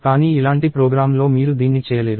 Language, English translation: Telugu, But you cannot do this in a program like this